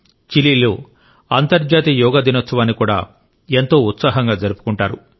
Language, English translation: Telugu, The International Day of Yoga is also celebrated with great fervor in Chile